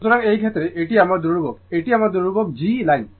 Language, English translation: Bengali, So, in this case your this is my your constantthis is my constant G line